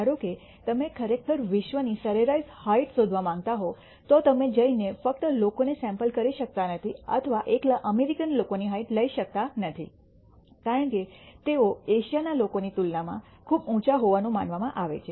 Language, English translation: Gujarati, Suppose you want to actually find out the average height of people in the world, you cannot go and sample just people or take heights of American people alone because they are known to be much taller compared to the Asian people